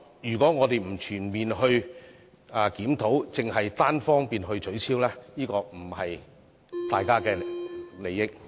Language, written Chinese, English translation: Cantonese, 如果我們不全面檢討，而只是單方面取消對沖機制，並不符合市民大眾利益。, It is not in line with the general public interest to abolish the offsetting mechanism unilaterally without conducting a comprehensive review